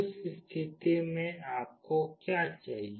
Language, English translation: Hindi, In that case what do you require